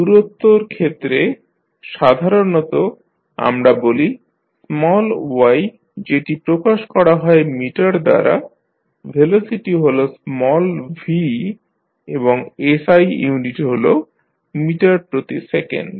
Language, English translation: Bengali, For distance we generally say small y which is represented in meter, velocity is small v and the SI unit is meter per second